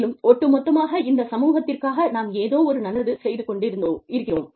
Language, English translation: Tamil, And, we are doing something good, for the community, as a whole